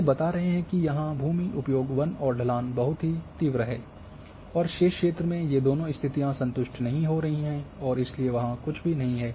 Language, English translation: Hindi, So, these are telling that here the land uses forest and slopes are very steeps here and in the remaining area these two conditions are not getting satisfied and therefore nothing is there